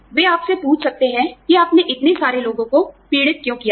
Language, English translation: Hindi, They may ask you, why you have made, so many people suffer